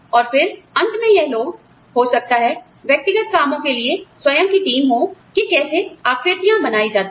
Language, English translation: Hindi, And, then, these people will finally, you know, they will, maybe, have their own team of personnel working, on how the shapes are made